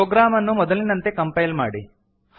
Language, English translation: Kannada, Compile the program as before